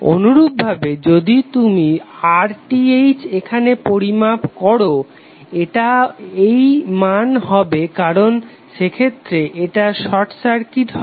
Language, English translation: Bengali, Similarly if you measure RTh here it will be this value because in that case this would be short circuited